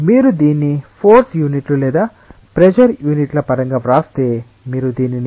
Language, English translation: Telugu, So, this if you write it in terms of force units or units of pressure so, to say, you can also write it as Pascal second